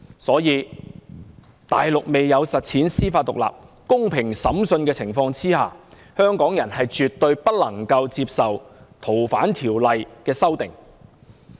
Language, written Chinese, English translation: Cantonese, 所以，在大陸未有實踐司法獨立、公平審訊的情況下，香港人絕對不能夠接受《條例》的修訂。, In light of this the amendment to the Ordinance is absolutely unacceptable to Hong Kong people so long as judicial independence and fair trials are yet to be achieved on the Mainland